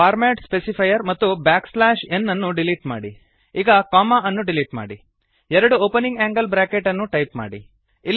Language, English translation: Kannada, Delete the format specifier and back slash n, now delete the comma and type two opening angle brackets Delete the bracket here